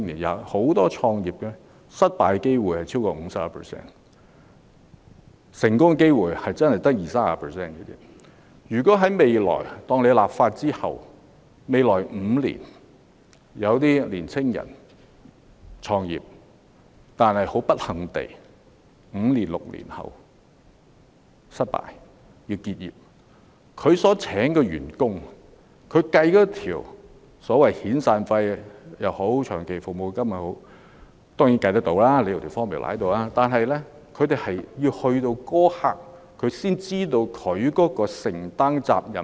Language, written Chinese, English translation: Cantonese, 假設在立法後，有已經創業的年青人不幸地在5年、6年後失敗而要結業。當他計算員工的遣散費或長期服務金時——當然，有算式便計算得到——他要在結業一刻才知道自己要承擔多少責任。, If some young entrepreneurs end up in failure and close their business after five to six years following the enactment of the legislation only at the point of closing down will they be able to find out the exact amount of severance payment SP or long service payment LSP they have to pay the employees although there is a formula for calculating the payment